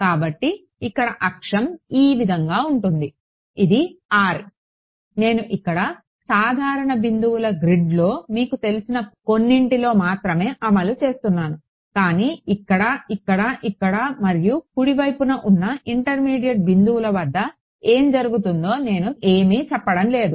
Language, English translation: Telugu, So, if I had my whole axes like this r, I am only enforcing it at some you know regular grid of points over here, but I am not saying anything about what happens at intermediate points over here, here, here and so on right